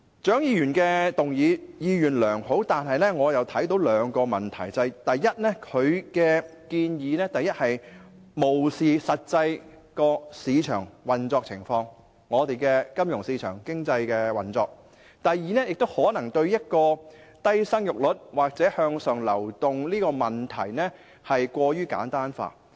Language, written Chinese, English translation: Cantonese, 蔣議員的議案意願良好，但我卻看到兩個問題：第一，她的建議漠視了金融和市場經濟的實際運作情況；第二，她可能把生育率低或向上流動的問題過於簡單化。, While Dr CHIANGs motion means to do good I am aware of two problems first her proposal has overlooked the actual operations of finance and market economy; and second she may have oversimplified the issues of a low fertility rate and upward mobility . Let me first explain how she simplifies the issues